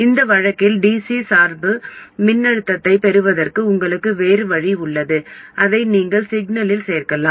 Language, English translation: Tamil, In this case you have some other way of obtaining the DC bias voltage and you add that to the signal